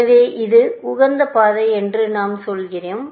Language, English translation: Tamil, Let this be the optimal path